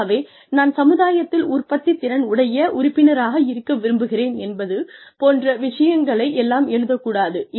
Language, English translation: Tamil, So, do not say things like, I would like to be a productive member of society